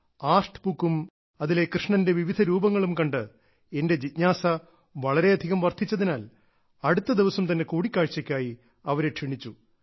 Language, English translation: Malayalam, Such was my curiosity on seeing the artbook, on seeing the different forms of Bhagwan Shri Krishna that I called the person to meet the very next day